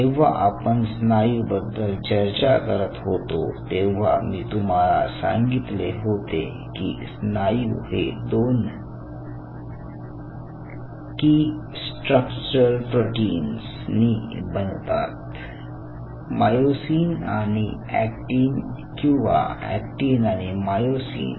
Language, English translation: Marathi, in other word, just to take you a little bit to the molecular side of it, while we were discussing the muscle, i told you the muscles are made up of two key structural proteins: myosin and actin, or actin and myosin